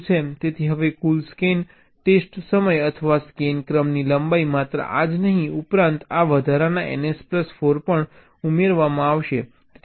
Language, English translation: Gujarati, so now the total scan test time or the scan sequence length will be: not only this, plus this additional n